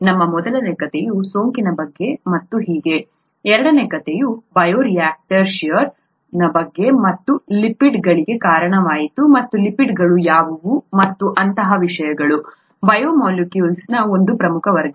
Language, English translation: Kannada, Our first story was about infection and so on, the second story was about sheer in bioreactors which led us to lipids and what lipids are and things like that, one major class of biomolecules